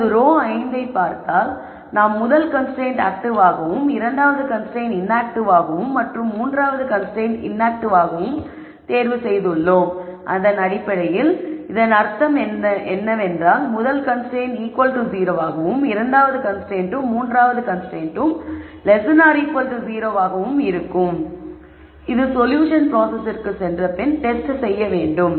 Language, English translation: Tamil, So, if you look at row 5, we have made a choice that the rst constraint is active, the second constraint is inactive and the third constraint is inactive, that basically means the first constraint is equal to 0, the second and third constraints have to be less than equal to 0, which needs to be tested after we go through the solution process